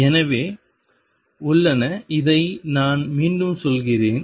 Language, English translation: Tamil, So, are; I am repeating this